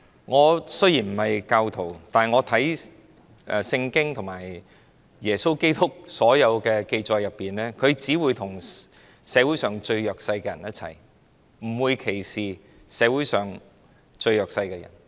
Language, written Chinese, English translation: Cantonese, 我雖然不是教徒，但我看《聖經》和耶穌基督所有紀載裏，他只會與社會上最弱勢的人一起，不會歧視社會上最弱勢的人。, Although I am not a Christian I see that in the Bible and all the records of Jesus Christ he would only stand with the most vulnerable people in society and never discriminate against them